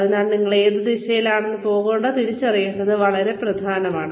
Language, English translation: Malayalam, So, it is very important to identify, which direction, you are going to be taking